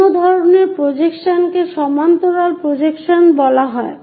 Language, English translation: Bengali, The other kind of projections are called parallel projections